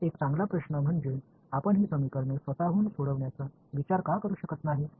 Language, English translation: Marathi, So, one good question is that why can’t we think of solving these equations by themselves right